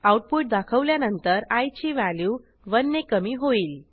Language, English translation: Marathi, After the output is displayed, value of i is decremented by 1